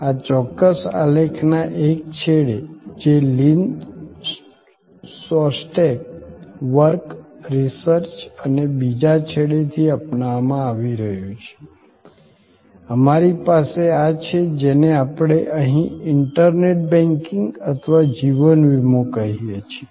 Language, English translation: Gujarati, There is that at one end of this particular graph, which is adapted from Lynn Shostack work, research and right at the other end, we have this what we call internet banking or life insurance here